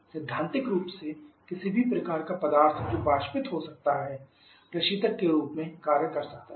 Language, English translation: Hindi, Theoretical speaking, any kind of substance which can evaporate can act as a refrigerant